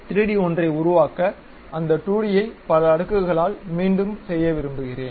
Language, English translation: Tamil, We would like to repeat that 2D one by several layers to construct 3D one